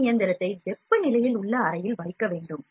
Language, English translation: Tamil, We need to place this machine in room temperature